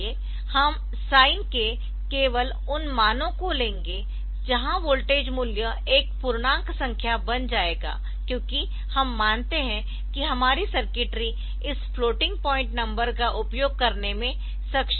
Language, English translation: Hindi, So, we will take only those values of sine where the voltage value will become an integer number because we assume that our table is not able to sort, our circuitry not able to use this floating point number